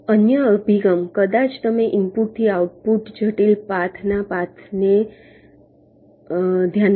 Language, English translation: Gujarati, the other approach: maybe you consider paths from input to the output, critical paths